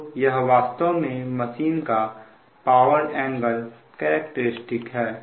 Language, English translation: Hindi, so this is power angle characteristic of this one